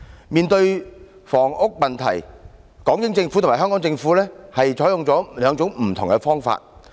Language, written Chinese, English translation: Cantonese, 面對房屋問題，港英政府和香港政府採取兩種不同的方法。, Facing the housing problem the British Hong Kong Government and the Hong Kong Government adopted two different approaches